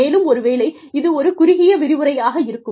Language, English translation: Tamil, And, maybe, this will be a short lecture